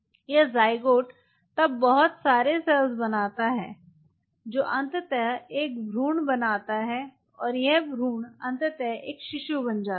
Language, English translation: Hindi, this zygote then form a mass of cell and this mass of cell eventually form an embryo and this embryo eventually becomes a baby